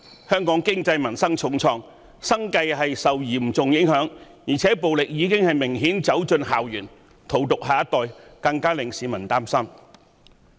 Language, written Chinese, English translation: Cantonese, 香港經濟民生受到重創，市民生計嚴重受影響，而且暴力已明顯走進校園，荼毒下一代，令市民更加擔心。, Hong Kong economy has taken a bad hit and peoples livelihood is severely affected . Moreover violence has obviously entered campuses to poison our next generation which is even more worrying